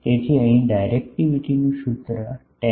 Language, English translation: Gujarati, So, here the formula for directivity is 10